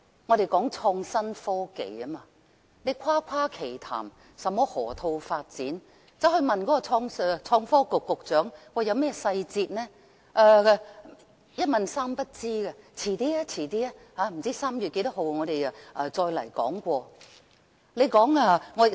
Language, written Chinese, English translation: Cantonese, 我們談到創新科技，誇誇其談甚麼河套發展，但當向創科局局長詢問有關細節時，他卻是一問三不知，只推說稍後大約在3月份便會再講述。, We now hear them talk about innovation and technology and brag about the Loop development and so on . But when asked about the details and particulars the Secretary for Innovation and Technology could not give any answer to all questions and simply tried to excuse himself by saying that more would be said around March